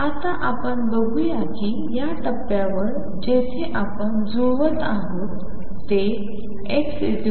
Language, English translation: Marathi, Now let us see if it at this point where we are matching which is x equals x 0